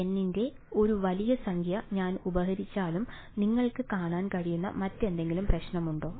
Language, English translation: Malayalam, Even if I fix a large number of N, is there any other problem conceptually that you can see